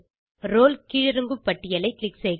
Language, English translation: Tamil, Click on Role drop down list